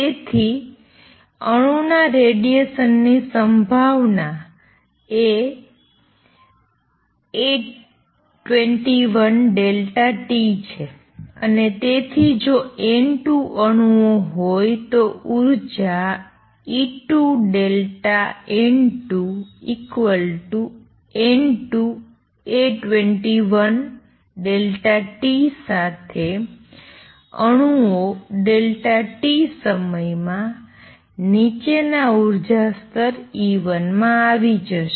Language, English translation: Gujarati, So, the probability of the atom radiating is going to be A 21 delta t and therefore, if there are N 2 atoms with energy E 2 delta N 2 equals N 2 times A 21 delta t atoms would have radiated in time delta t and come down to energy level E 1